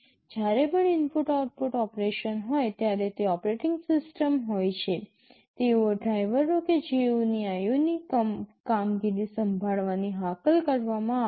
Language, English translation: Gujarati, Whenever there is an input output operation it is the operating system, the drivers therein who will be invoked to take care of the IO operations